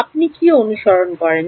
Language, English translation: Bengali, Do you follow